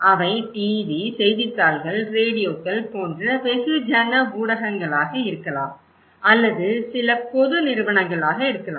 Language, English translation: Tamil, They could be mass media like TV, newspapers, radios or could be some public institutions